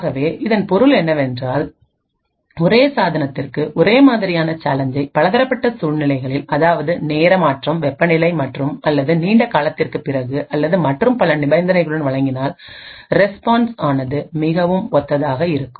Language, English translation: Tamil, So, what this means is that if I provide the same challenge to the same device with different conditions like change of time, change of temperature or after a long time or so on, the response is very much similar